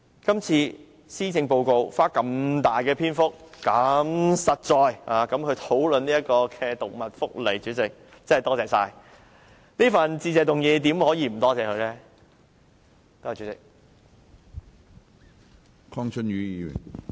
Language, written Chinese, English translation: Cantonese, 今次的施政報告花如此"大"篇幅如此"實在地"討論動物福利，主席，真的很感激，在這次的致謝議案內怎可以不感謝她呢？, I am truly grateful President that this Policy Address discusses animal welfare in such length and with so much substance . How can we not show her our appreciation in this Motion of Thanks?